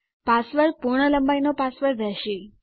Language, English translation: Gujarati, The password is going to be just a full length password